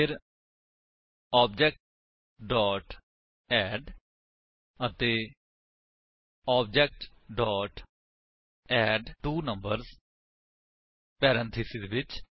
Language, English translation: Punjabi, Then Obj.add And Obj.addTwonumbers within parentheses